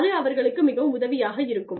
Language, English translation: Tamil, That would be, very helpful for them